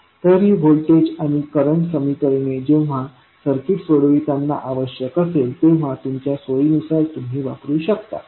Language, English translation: Marathi, So, these voltage and current equations you can use whenever it is required to solve the circuit according to your convenience